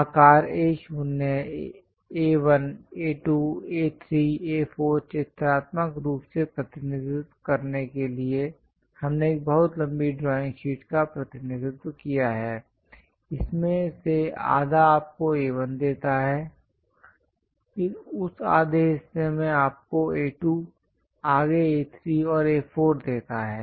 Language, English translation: Hindi, To represent pictorially the A0 size A1, A2, A3, A4, we have represented a very long drawing sheet; half of that gives you A1, in that half gives you A2, further A3, and A4